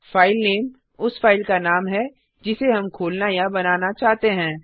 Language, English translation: Hindi, filename is the name of the file that we want to open or create